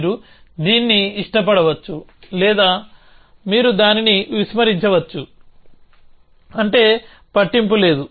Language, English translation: Telugu, You can either like it or you can ignore it, it does not matter